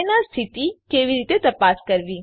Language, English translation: Gujarati, How to check the PNR status